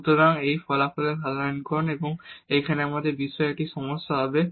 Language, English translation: Bengali, So, this is the generalization of this result and now we will have this one problem on this